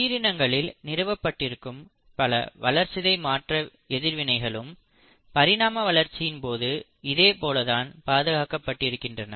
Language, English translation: Tamil, Similarly, a lot of other metabolic reactions which govern life are also conserved across evolution